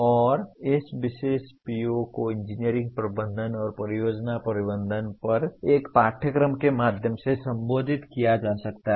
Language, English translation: Hindi, And this particular PO can be addressed through a course on engineering management and or project management